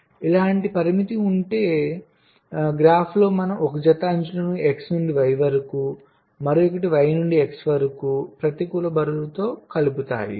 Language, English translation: Telugu, so if there is a constraints like this, then in the graph we add a pair of edges, one from x to y, other from y to x, with negative weights